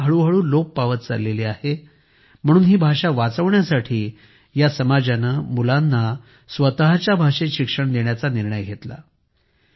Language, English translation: Marathi, This language was gradually becoming extinct; to save it, this community has decided to educate children in their own language